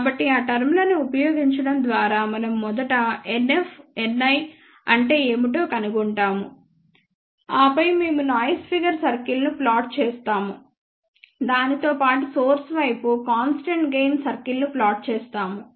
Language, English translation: Telugu, So, by using those terms we first find out what is N i, and then we plot noise figure circles, then along with that we plot constant gain circle for the source side